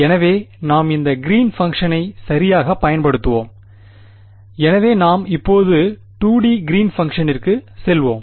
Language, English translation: Tamil, So, we will be using this Green’s function right and so, let us go to the 2 D Green’s function right